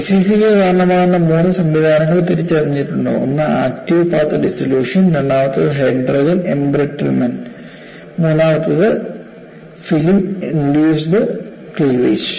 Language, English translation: Malayalam, There are three mechanisms identify it to cause SCC: one is active path dissolution, second one is hydrogen embrittlement, the third one is film induced cleavage